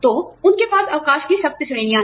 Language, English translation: Hindi, So, you know, they have strict categories of leaves